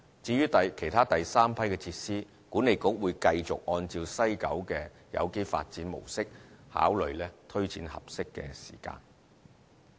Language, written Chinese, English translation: Cantonese, 至於其他第三批設施，管理局會繼續按照西九的有機發展模式考慮推展的合適時間。, As for the other Batch 3 facilities the Authority will continue formulating an appropriate rollout schedule with reference to the organic development model of WKCD